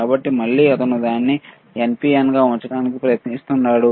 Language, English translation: Telugu, So, again he is trying to keep it NPN